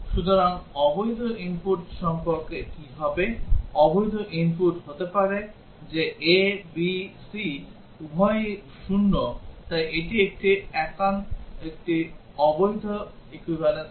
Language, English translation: Bengali, So, what about the invalid input, the invalid input may be that both a, b, c are 0 so that is a invalid equivalence class